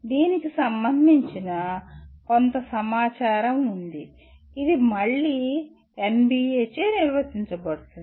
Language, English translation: Telugu, There is some information related to which is again defined by NBA